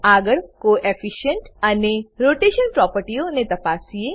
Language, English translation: Gujarati, Next let us check the Coefficient and Rotation properties